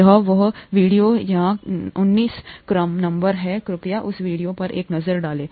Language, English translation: Hindi, This is, the video is number 19 here, please take a look at that video